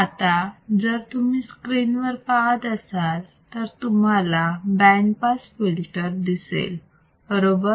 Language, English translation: Marathi, So, if you come back to the screen and what you see here is a band pass filter correct band pass filter